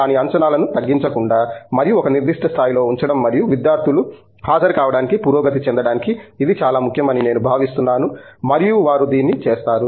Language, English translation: Telugu, But, I think it’s important to not let down the expectations and hold it at a certain level and get the students to rise up to attend and they would do it